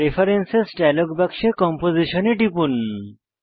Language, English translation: Bengali, From the Preferences.dialog box, click Composition